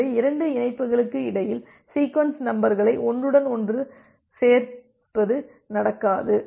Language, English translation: Tamil, So, that this kind of overlapping of sequence numbers between two connection does not happen